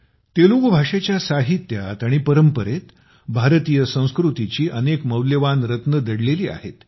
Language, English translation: Marathi, Many priceless gems of Indian culture are hidden in the literature and heritage of Telugu language